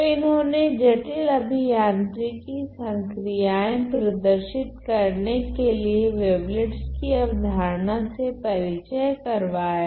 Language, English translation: Hindi, So, they introduced the idea of wavelets using wavelets to describe you know complex engineering processes